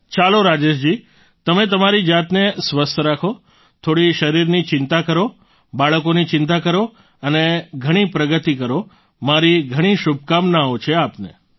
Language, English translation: Gujarati, Alright, Rajesh ji, keep yourself healthy, worry a little about your body, take care of the children and wish you a lot of progress